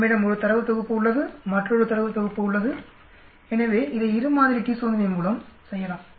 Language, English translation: Tamil, We have 1 data set, another data set,so can we do it by two sample t test